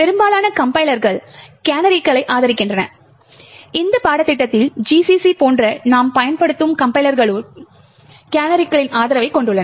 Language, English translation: Tamil, Most of the compilers support canaries, the compilers that we are using in this course that is GCC also, has support for canaries